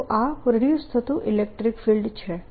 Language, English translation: Gujarati, this is the induced electric field